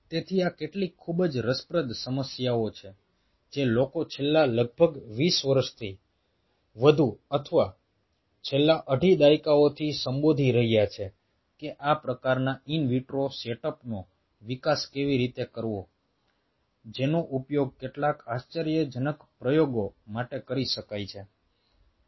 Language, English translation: Gujarati, what people are addressing for last almost more than twenty years, or last two and a half decades, that how to develop these kind of in vitro setups which can be used for some amazing experiments, what we can think of now